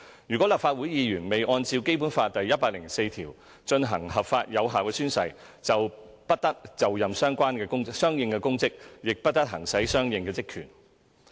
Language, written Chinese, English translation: Cantonese, 如立法會議員未按照《基本法》第一百零四條進行合法有效宣誓，便不得就任相應公職，亦不得行使相應職權。, If a Member of the Legislative Council fails to lawfully and validly take his or her oath under Article 104 of the Basic Law no corresponding public office shall be assumed and no corresponding powers and functions shall be exercised